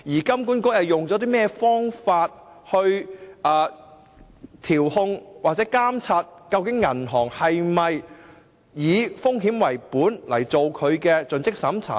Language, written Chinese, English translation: Cantonese, 金管局以何方法來調控或監察銀行是否以"風險為本"來進行盡職審查呢？, What methods have HKMA adopted to regulate or monitor whether CDD process conducted by banks are risk - based?